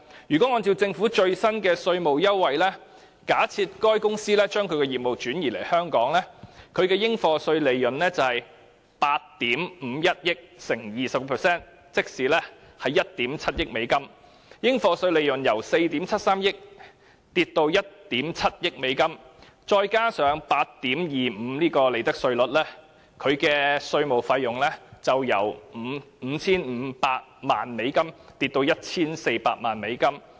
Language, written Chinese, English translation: Cantonese, 如果按照政府最新的稅務優惠，假設該公司將業務轉移到香港，它的應課稅利潤就是8億 5,100 萬美元乘以 20%， 即是1億 7,000 萬美元，應課稅利潤由4億 7,300 萬美元下跌至1億 7,000 萬美元，再加上 8.25% 的利得稅率，其稅務費用就會由 5,500 萬美元跌至 1,400 萬美元。, Under the Governments proposed tax concessions if this company transfers its business to Hong Kong the profits chargeable to tax will be 20 % of US851 million or US170 million . The profits chargeable to tax will drop from US473 million to US170 million . With the profits tax concessions of 8.25 % the tax it has to pay will drop from US55 million to US14 million